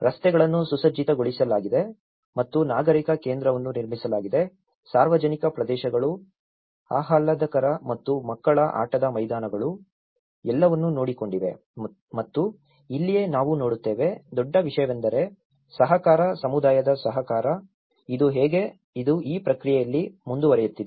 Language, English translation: Kannada, The streets are paved and a civic centre was built, public areas are pleasant and children playgrounds, everything has been taken care of and this is where, we see the biggest thing is the cooperation, the cooperation from the community, this is how, how it is continuing in this process